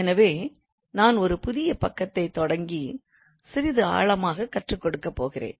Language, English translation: Tamil, So let me start a new page and I'm going to increase the thickness a little bit